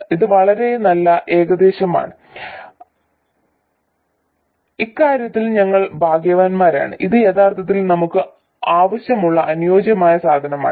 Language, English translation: Malayalam, It's a very good approximation and in this respect we are lucky it is actually exactly the ideal stuff that we want